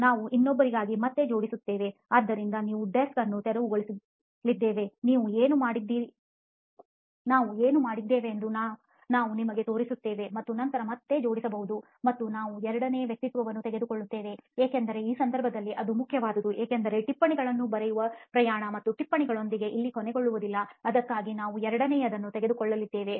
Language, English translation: Kannada, We will assemble again for another; So we are going to clear off the desk we will show you what we have done and then probably assemble again and we will do the second persona; because for this case it matters because the journey of writing notes and the dealing with notes does not end here in this scenario, that is why we are going to do a second one